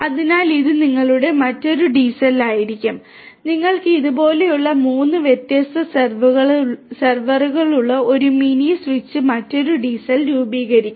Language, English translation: Malayalam, So, this will be your another DCell and you will have a mini switch with 3 different servers like this forming another DCell